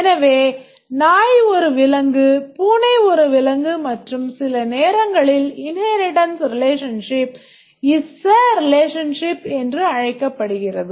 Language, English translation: Tamil, So, a dog is an animal, a cat is an animal, and therefore sometimes the inheritance relationship is called as the is a relationship